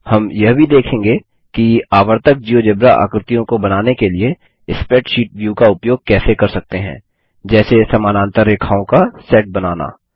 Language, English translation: Hindi, We will also see how the spreadsheet view can be used to create recurring Geogebra objects like creating a set of parallel lines